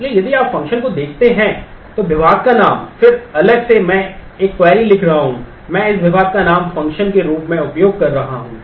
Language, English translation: Hindi, So, if you look at the function is department name, then separately I am writing a query, I am using this department name as function